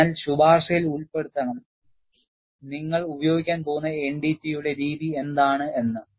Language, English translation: Malayalam, So, the recommendation has to incorporate, what is the method of NDT we are going to employ